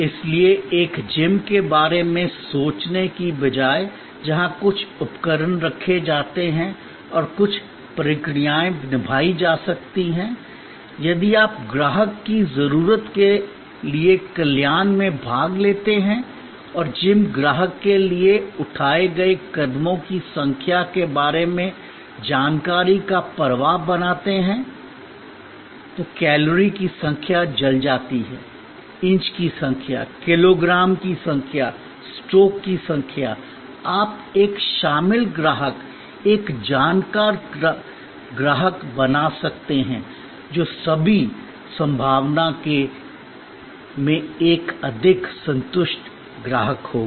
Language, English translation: Hindi, So, instead of thinking of a gym where certain equipment are kept and certain procedures can be performed, if you participate in the customer's need of generating wellness and create information flow to the gym customer about the number of steps taken, the number of calories burned, the number of inches, number of kilograms, number of strokes, you can create an involved customer, a knowledgeable customer, who in all probability will be a more satisfied customer